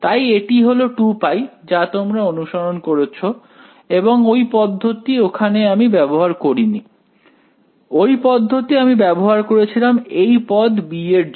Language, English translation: Bengali, So, that is the 2 pi that you are referring to yeah we did not use that approach over here, we used that approach for this term b ok